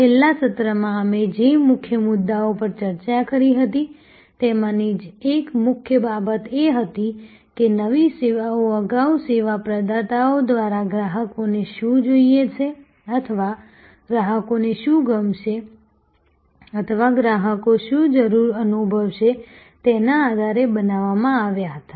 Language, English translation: Gujarati, The key, one of the key points that we discussed in the last session was that new services earlier were created by service providers on the basis of their perception of what the customers wanted or what the customers would like or what the customers were feeling the need for